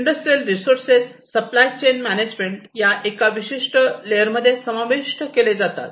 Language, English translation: Marathi, So, industrial resources, supply chain management, these are considered in this particular layer